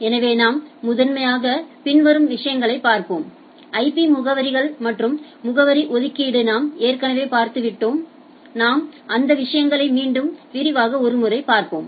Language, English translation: Tamil, So, if we look at we will be primarily looking at following things IP addresses and address allocation already you have gone through that we will quickly brush up on the things